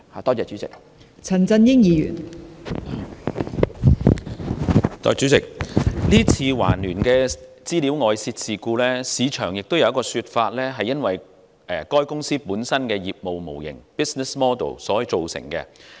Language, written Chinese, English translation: Cantonese, 代理主席，對於這次環聯的資料外泄事件，有人認為是由該公司本身的業務模型造成。, Deputy President as regards the leakage of customer data by TransUnion some people are of the view that it was caused by the business model adopted by the company